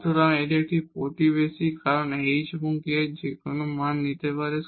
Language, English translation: Bengali, So, this is a neighborhood because h and k can take any value